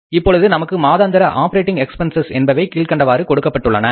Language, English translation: Tamil, Now we are given the monthly operating expenses as follows